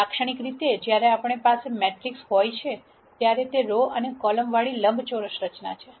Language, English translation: Gujarati, Typically when we have a matrix it is a rectangular structure with rows and columns